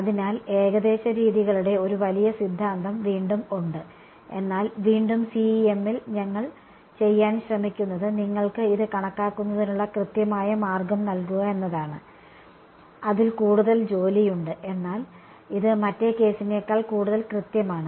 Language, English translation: Malayalam, So, again there is a vast theory of approximate methods, but again in CEM what we will try to do is give you an exact way of calculating this, there is more it is more work, but it is a more rigorous than in the other case